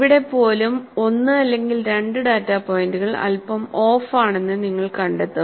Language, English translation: Malayalam, Even here, you will find 1 or 2 data points are slightly off